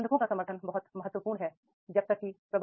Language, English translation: Hindi, Support of managers is very, very important